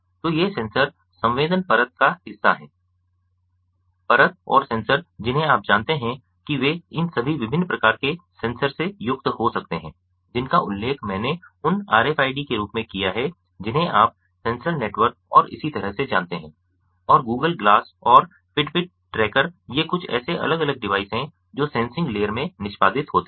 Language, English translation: Hindi, so these sensors are part of the sensing layer, and the sensors, ah, ah, you know they could consists of all these different types of sensors that i mentioned: the rfids, ah, you know, sensor networks and so on, and google class and fitbit tracker